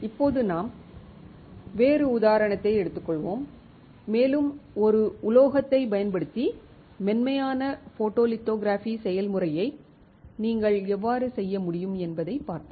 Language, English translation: Tamil, And now we will take a different example and we will see how can you do a complete process of photolithography using a metal